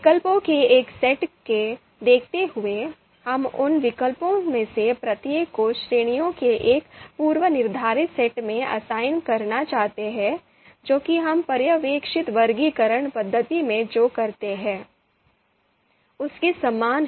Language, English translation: Hindi, So independently you know given a set of alternative, we will like to you know assign each of those alternatives to into a predefined set of categories, this is this seems to be something very similar to what we do in supervised you know classification method